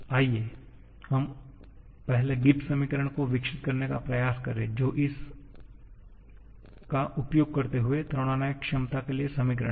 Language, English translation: Hindi, Let us first try to develop the Gibbs equation that is equations for the thermodynamic potentials using this